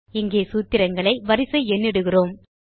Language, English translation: Tamil, Here we will also number the formulae